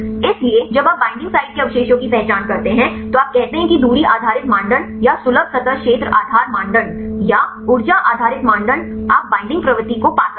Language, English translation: Hindi, So, when you identify the binding site residues either you say distance based criteria or accessible surface area base criteria or the energy based criteria you can find the binding propensity right